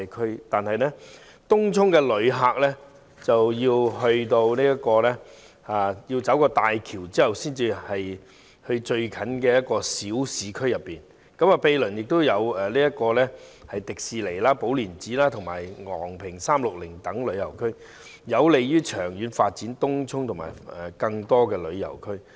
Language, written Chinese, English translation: Cantonese, 可是，前往東涌的旅客必須通過大橋才能到達最接近的小市區，毗鄰還有香港迪士尼樂園、寶蓮禪寺及昂坪360等旅遊景點，在在都有利於長遠發展東涌及更多旅遊區。, As visitors going to Tung Chung must via HZMB before they can reach the nearest small urban area and the adjacent tourist attractions such as Hong Kong Disneyland Po Lin Monastery and Ngong Ping 360 this is conducive to the long - term development of Tung Chung and other tourist districts